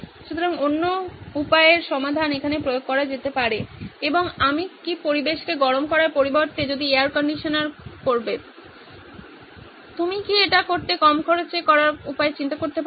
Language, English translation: Bengali, So the other way round solution can be applied here and can I instead of heating the environment which is what the air conditioning will do, can you think of lower cost ways to do it